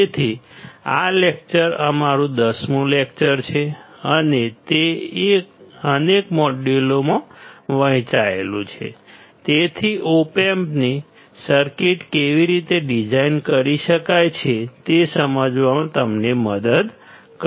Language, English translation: Gujarati, So, this lecture is our 10th lecture and it is divided into several modules; so, as to help you understand how the Op amp circuits can be designed